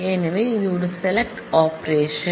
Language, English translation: Tamil, So, that is a basic select operation